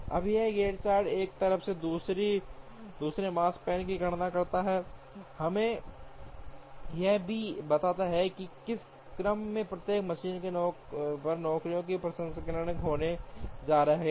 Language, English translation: Hindi, Now, this Gantt chart on one hand computes the Makespan on the other, also tells us the order in which the jobs are going to be processed on each machine